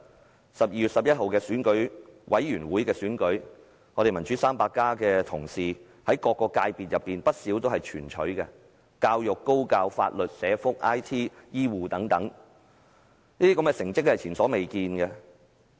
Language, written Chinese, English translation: Cantonese, 在12月11日選舉委員會的選舉中，"民主 300+" 的同事在不少界別皆全取所有席位，包括教育、高教、法律、社福、IT、醫護等，是前所未見的佳績。, In the Election Committee EC election held on 11 December colleagues of the Democrats 300 had swept all seats in a number of subsectors including education higher education legal social welfare IT health care etc the success achieved was unprecedented